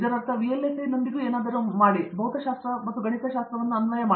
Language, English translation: Kannada, If it is something to do with VLSI or I mean it is your physics and mathematics, basically